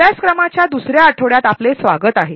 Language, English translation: Marathi, Welcome back to the second week of the course